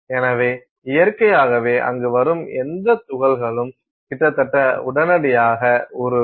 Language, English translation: Tamil, So, naturally any powder particle that comes there almost instantaneously melts